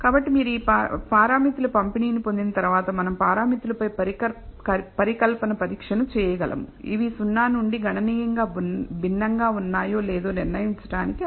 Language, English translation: Telugu, So, once you have derived the distribution of the parameters we can perform hypothesis testing on the parameters to decide whether these are significantly different from 0 and that is what we are going to do